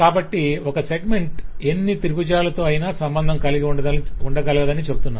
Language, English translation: Telugu, so we say that a segment could be associated with any number of triangles, but a triangle will be associated with three segments